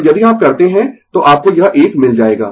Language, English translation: Hindi, So, if you do, so you will get this one